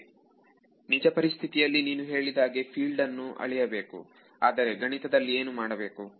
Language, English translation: Kannada, How in physically you are saying measure the field, but mathematically what do I do